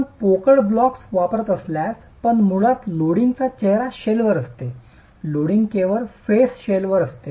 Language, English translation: Marathi, If you are using hollow blocks, if you are using hollow blocks then basically the loading is on the face shell